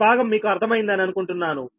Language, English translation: Telugu, i hope this part you have understood right